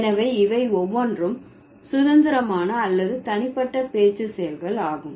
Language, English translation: Tamil, So, each of these are independent or individual speech acts, fine